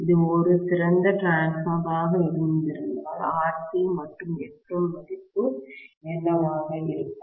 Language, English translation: Tamil, Had it been an ideal transformer, what would be the value of RC and Xm